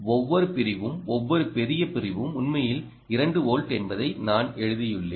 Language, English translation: Tamil, you can see that each division here, each large division here, is actually two volts